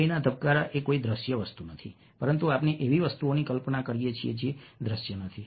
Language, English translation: Gujarati, the heart beat is not a visual thing, but we visualize things which are not visual